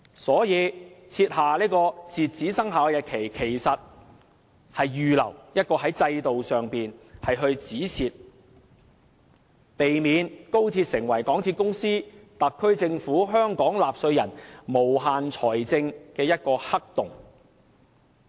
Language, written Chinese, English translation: Cantonese, 所以，設下截止生效日期，其實只是預留一個"止蝕"制度，避免高鐵成為港鐵公司、特區政府和香港納稅人的無限財政黑洞。, In this respect the inclusion of an expiry date in the Bill is basically to put in place a stop - loss mechanism in advance preventing XRL to become a financial black hole digging into the pockets of the MTR Corporation Limited the SAR Government and the Hong Kong taxpayers as well